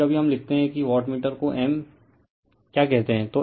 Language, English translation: Hindi, Sometimes we write that you your what you call wattmeter like m